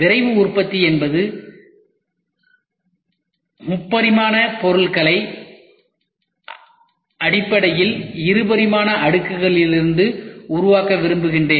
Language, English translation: Tamil, Rapid Manufacturing is I would like to build the 3 dimensional objects from fundamentally 2 dimensional layers